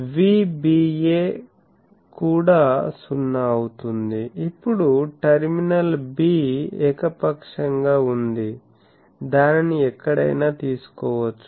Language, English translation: Telugu, So, Vba is also 0, now terminal b is arbitrary it can be taken anywhere